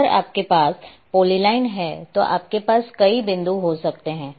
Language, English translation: Hindi, If you are having polyline then you may have many points